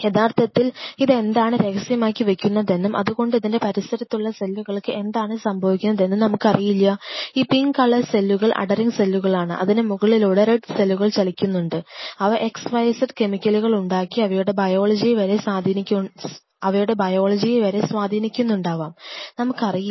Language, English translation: Malayalam, In a real life we do not know what it is secreting and that what it is secreting to it is surrounding main influences the another cell which is an adhering cell sitting underneath; this pink colors are there adhering cells which are sitting underneath and top of that this red cells is moving through by secreting certain xyz compound xyz chemical and this is the influencing some of it is biology we really not know that